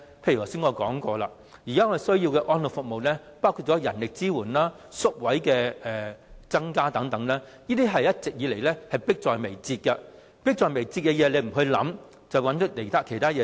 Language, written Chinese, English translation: Cantonese, 例如我剛才指出了，現時需要的安老服務包括人力支援、增加宿位等，這些一直以來也是迫在眉睫的問題，但政府沒有考慮這些，反而做了其他工作。, Such as the example I have pointed out just now what elderly services need are the manpower support and space and so on . All of these are pressing needs . But instead of considering them the Government makes efforts in other areas